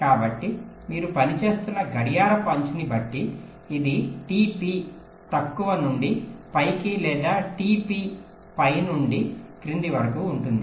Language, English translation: Telugu, so, depending on the clock edge your working, it can be t p low to high or t p high to low